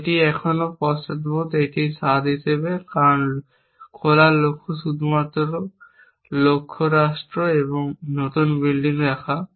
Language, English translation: Bengali, It still as a flavor of backward is in, because open goals are only in the goals state and the new keep building